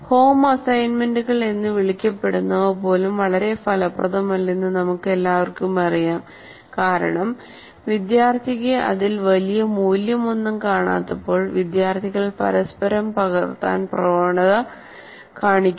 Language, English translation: Malayalam, And as we all know, that even the so called home assignments are also not that very effective because when the student doesn't see much value in that, the students tend to copy from each other